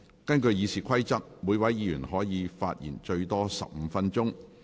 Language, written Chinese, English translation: Cantonese, 根據《議事規則》，每位議員可發言最多15分鐘。, Under the Rules of Procedure each Member may speak for up to 15 minutes